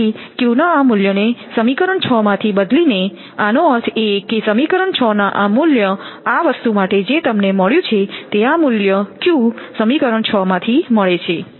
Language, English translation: Gujarati, So, substituting this value of q from equation 6; that means, from this equation from equation 6 this value whatever you have got for this thing, after the value of q from equation 6 from this equation